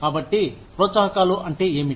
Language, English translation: Telugu, So, that is what, incentives are